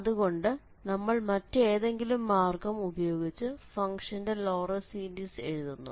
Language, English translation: Malayalam, So, by some other means we have expanded the function in terms of the Laurent series